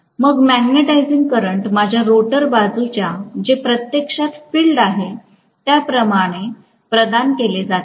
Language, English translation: Marathi, And the magnetising current is provided by whatever is my rotor side, which is actually field, right